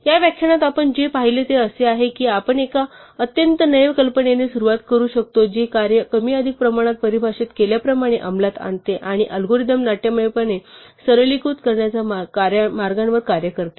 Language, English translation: Marathi, So in this lecture what we have seen is that we can start with a very naive idea which more or less implements the function as it is defined and work our ways to dramatically simplify the algorithm